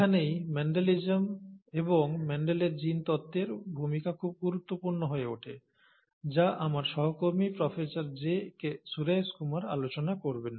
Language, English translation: Bengali, And this is where the role of Mendelism and Mendel’s genetics becomes very important, which will be covered by my colleague, Professor G